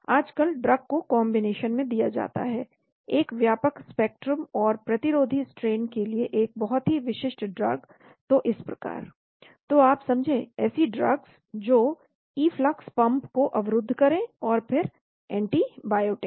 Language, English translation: Hindi, Nowadays, drugs are given in combination, a broad spectrum plus a very specific drug for resistant strains like that you know drugs which will block their efflux pumps and then antibiotic